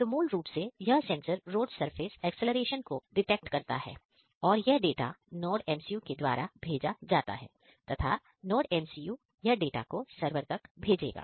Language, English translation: Hindi, So, these sensor detects the accelerations about the road surface and it send this data from the NodeMCU, from the NodeMCU these data is going to send one server